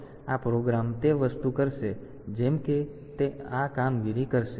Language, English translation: Gujarati, So, this program it will be doing that thing like say it will be doing this operation